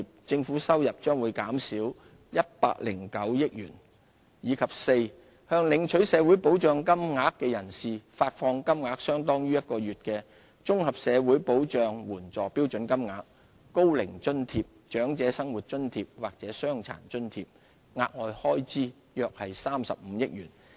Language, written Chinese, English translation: Cantonese, 政府收入將減少109億元；及四向領取社會保障金額的人士，發放金額相當於1個月的綜合社會保障援助標準金額、高齡津貼、長者生活津貼或傷殘津貼，額外開支約35億元。, This proposal will benefit 3.21 million properties and reduce government revenue by 10.9 billion; and d providing an extra allowance to social security recipients equal to one month of the standard rate Comprehensive Social Security Assistance payments Old Age Allowance OAA OALA or Disability Allowance . This will involve an additional expenditure of about 3.5 billion